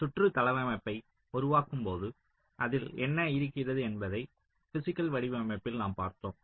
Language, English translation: Tamil, now, we have seen in physical design, so when we create the layout of the circuit, what does it contain